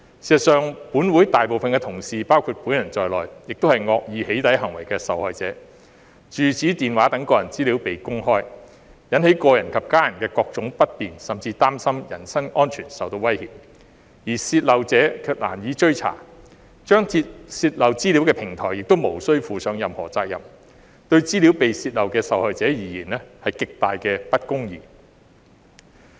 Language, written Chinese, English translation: Cantonese, 事實上，本會大部分同事和我本人也是惡意"起底"行為的受害者；住址、電話號碼等個人資料被公開，引起個人及家人的各種不便，甚至令他們擔心人身安全受威脅，而泄漏者卻難以追査，張貼泄漏資料的平台亦無須負上任何責任，對資料被泄漏的受害者而言是極大的不公義。, In fact most of our colleagues and I are also victims of malicious doxxing . The disclosure of personal data such as residential addresses and telephone numbers has caused various inconveniences to individuals and their families and even left them worried about their personal safety . However it is difficult to trace the leaker and the platform where the leaked data is posted does not have to bear any responsibility